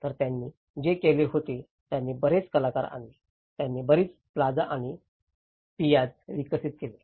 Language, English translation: Marathi, So, what they did was, they brought a lot of artists, they develops lot of plazas and the piazzas